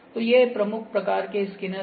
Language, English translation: Hindi, So, these are the major kinds of scanners